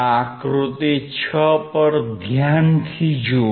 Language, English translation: Gujarati, Look closely at figure 6